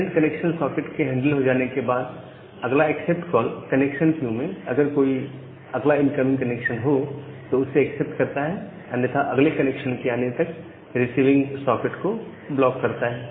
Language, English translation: Hindi, So, once the handling of this current connection socket is done current connected socket is done, then the next accept call they accept the next incoming connections from the connection queue if there is any or blocks the receiving socket until the next connection comes